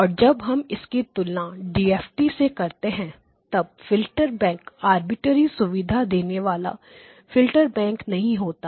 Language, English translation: Hindi, And whenever we want to compare it with the DFT then the filter bank cannot be an arbitrary filter bank